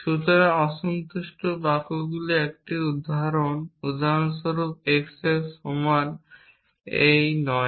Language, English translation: Bengali, So, an example of unsatisfiable sentences would be for example, x not equal to x